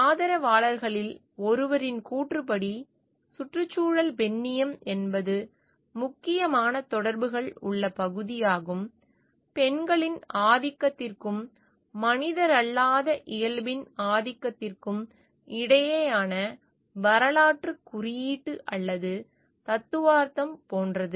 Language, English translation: Tamil, According to one of the proponents, ecofeminism is the portion that there are important connections; like, historical, symbolic or theoretical between domination of women and the domination of non human nature